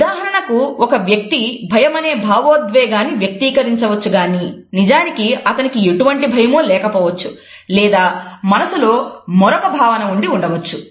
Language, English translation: Telugu, A person may show an expression that looks like fear when in fact they may feel nothing or maybe they feel a different emotion altogether